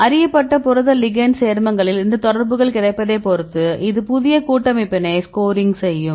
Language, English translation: Tamil, Depending upon the availability of these contacts in known protein ligand complexes right this will score the new complex